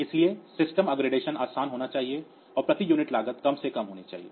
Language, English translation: Hindi, So, they it should be easy to upgrade and the cost per unit